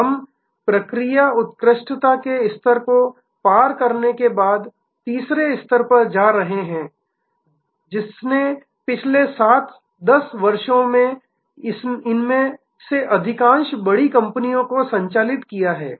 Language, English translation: Hindi, We are moving to the third level after crossing the level of process excellence, which has driven most of these large companies for the last 7, 10 years